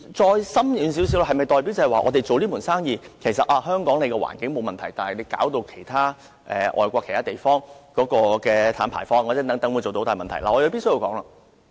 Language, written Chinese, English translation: Cantonese, 再深遠一點，香港經營這門生意，是否代表本港的環境沒有問題，卻令外國其他地方的碳排放等出現大問題？, Looking at the question in some depth we may wonder if operating this business in Hong Kong will mean that we are fine environmentally while worsening the emission problem for instance in other countries?